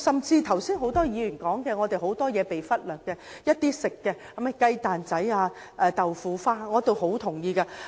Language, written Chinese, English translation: Cantonese, 剛才很多議員提到，很多事情已經被忽略，包括一些食品，如雞蛋仔、豆腐花等。, A number of Members have just said that many things have been ignored including some food such as egg puffs and bean curd pudding etc